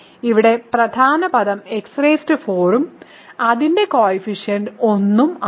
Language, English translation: Malayalam, So, here the leading term is x power 4 and its coefficient is 1